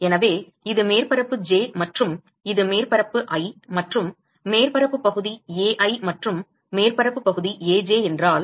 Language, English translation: Tamil, So, this is surface j and this is surface i and the surface area is Ai and if the surface area is Aj